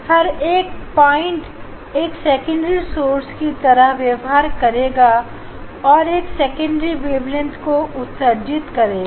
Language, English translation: Hindi, each point we will act as a secondary source and the secondary wavelets we will emit